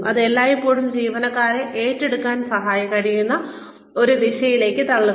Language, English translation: Malayalam, It always pushes the employee, in a direction in which, that can be taken up